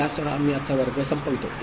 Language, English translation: Marathi, So, with this we conclude today’s class